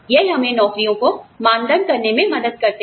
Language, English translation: Hindi, They help us benchmark jobs